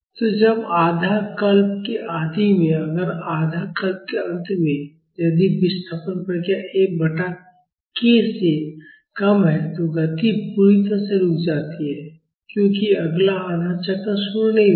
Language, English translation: Hindi, So, when at the beginning of half cycle, if or at the end of a half cycle; if the displacement response is less than F by k, then the motion stops completely, because the next half cycle will not be initiated